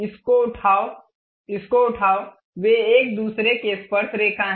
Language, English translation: Hindi, Pick this one, pick this one, they are tangent to each other